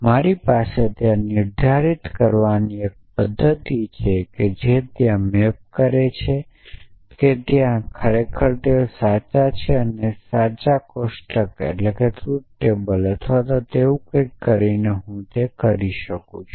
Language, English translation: Gujarati, I have a mechanism for determining for there they map to true of where there they false and that I can do by using true tables or something like that